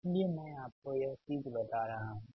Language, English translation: Hindi, so i am giving you this thing